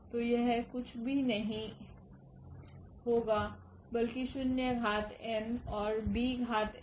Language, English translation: Hindi, So, this will be nothing, but the a power n zero and b power n